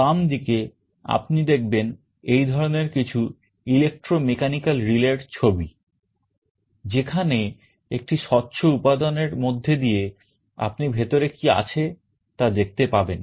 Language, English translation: Bengali, On the left you see some pictures of this kind of electromechanical relays, where through a transparent material you can see what is inside